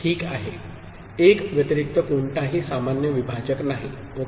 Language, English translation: Marathi, There is no common divisor other than 1 ok